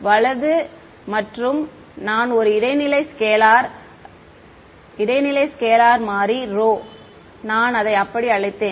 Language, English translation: Tamil, Right and I intermediate into a new scalar variable, I called it rho